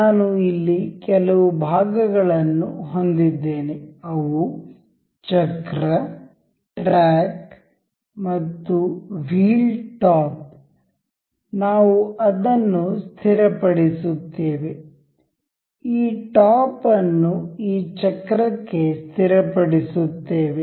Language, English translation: Kannada, I here have some parts that is wheel, a track and wheel top; we will just fix it, fix this top to this wheel